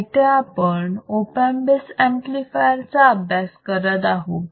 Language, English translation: Marathi, But if I have what we are studying is op amp base amplifier